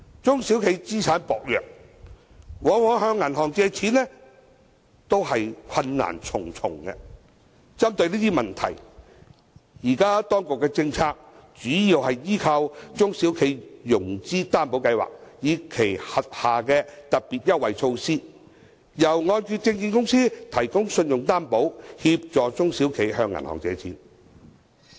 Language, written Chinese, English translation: Cantonese, 中小企資產薄弱，往往向銀行借錢都是困難重重，針對這些問題，現時當局的政策主要依靠"中小企融資擔保計劃"，以及其轄下的"特別優惠措施"，由按揭證券公司提供信用擔保，協助中小企向銀行借錢。, Without the backing of adequate assets SMEs often find it difficult to borrow money from banks . In response to these problems the Administrations existing policy is to rely mainly on the SME Financing Guarantee Scheme and its special concessionary measures under which the Hong Kong Mortgage Corporation will provide credit guarantee to help SMEs obtain loans from banks